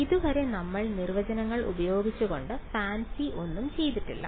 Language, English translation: Malayalam, So far we have not done anything fancy we have just used definitions